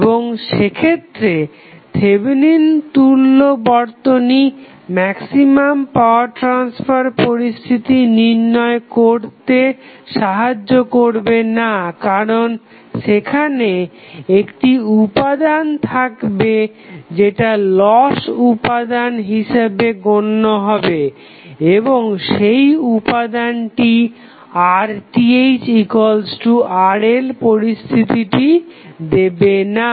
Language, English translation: Bengali, And in that case the circuit which you see as a Thevenin equivalent will not be able to help in identifying the maximum power condition why because there would be 1 component which is always be a loss component and that component will not give you the condition under which you have the Rth equal to Rl